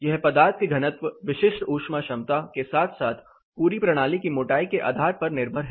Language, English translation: Hindi, It is by virtue of the materials density, specific heat capacity as well as the thickness of the whole system